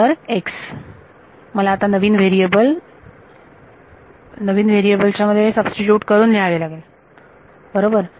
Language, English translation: Marathi, So, x I have to write as now substitute in terms of the new variables right